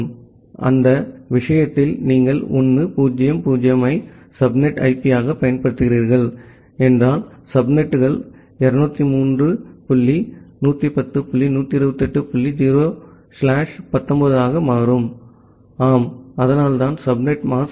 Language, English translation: Tamil, So, in that case, if you are using 1 0 0 as the subnet IP, the subnets becomes 203 dot 110 dot 128 dot 0 slash 19 that is the yeah so that is the subnet mask